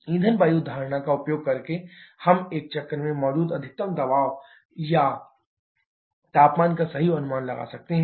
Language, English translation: Hindi, Also using the fuel air assumption, we can get a correct estimate of the maximum pressure and temperature that can exist in a cycle